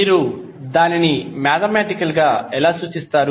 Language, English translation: Telugu, How you will represent it mathematically